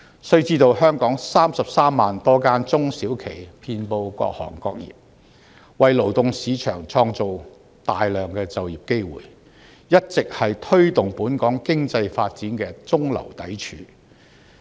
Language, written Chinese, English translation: Cantonese, 須知道，香港有33萬多間中小企遍及各行各業，為勞動市場創造大量就業機會，一直是推動本港經濟發展的中流砥柱。, We have to know that there are 330 000 SMEs in Hong Kong operating in various trades and industries providing a large number of employment opportunities in the labour market and they have all along been the mainstay giving impetus to the economic development of Hong Kong